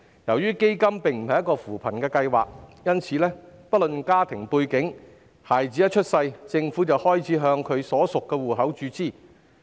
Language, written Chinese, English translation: Cantonese, 由於基金並非扶貧計劃，所以不論家庭背景，孩子一出世，政府便開始向其所屬戶口注資。, Since the Fund is not a poverty alleviation programme the Government will start making a contribution to the account of the child once he or she is born irrespective of his or her family background